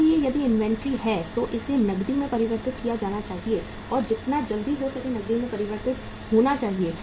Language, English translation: Hindi, So if the inventory is there it should be converted into cash and should be convertible into cash as quickly as possible